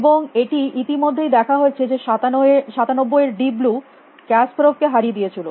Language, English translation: Bengali, And this already seen that 97 deep blue beat kasparov